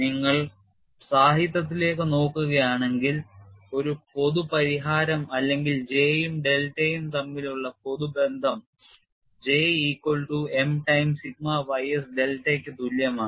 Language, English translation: Malayalam, If you look at the literature a general solution or the general relation between J and delta is given as J equal to M times sigma ys delta and for this particular case you have M equal to 1